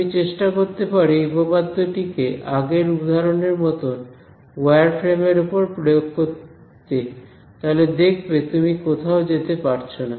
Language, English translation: Bengali, You can try using applying this theorem on a wire frame like the previous example, you will find that you do not go anywhere